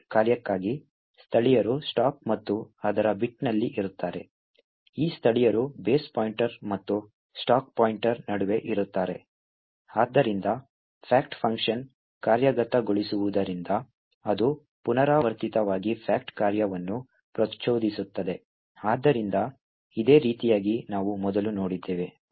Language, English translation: Kannada, The locals for the fact function are then present on the stack and its bit, these locals are present between the base pointer and the stack pointer, so as the fact function executes it will recursively invoke the fact function, so in a very similar way as we have seen before